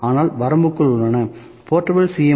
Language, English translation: Tamil, So, limitations are also there, portable C